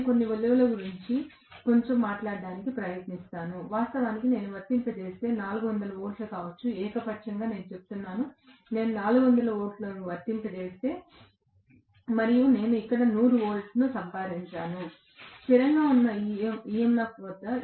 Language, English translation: Telugu, Let me try to talk about some values a little bit, if originally I had applied may be some 400 volts, arbitrary I am saying, let’s say I have applied 400 volts and maybe I had gotten 100 volts here, at standstill EMF